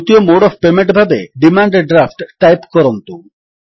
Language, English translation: Odia, Next, lets type the second mode of payment as Demand Draft